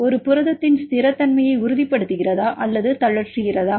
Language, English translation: Tamil, This is stabilize the protein or destabilize the protein